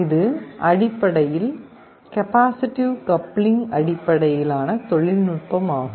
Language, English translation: Tamil, This is basically a technology based on capacitive coupling